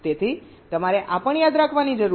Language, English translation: Gujarati, ok, so this has to be remembered now